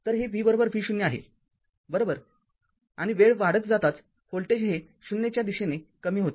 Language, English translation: Marathi, So, it is v is equal to V 0 right and as time t increases the voltage decreases towards 0